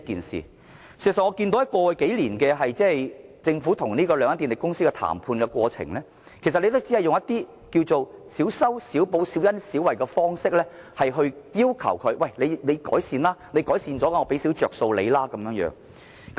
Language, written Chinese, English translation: Cantonese, 事實上，過去數年，政府與兩間電力公司談判時，只要求它們以小修小補、小恩小惠的方式作出改善，以此換取少許優惠。, In fact in the negotiation with the two power companies over the past few years the Government has only required them to make improvements by fixing minor problems and doing small favours . In return the two companies would be offered some benefits